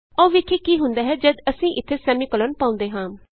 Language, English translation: Punjabi, Let us try what happens if we put the semicolon here